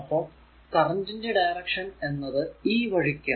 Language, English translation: Malayalam, And this your current direction is this way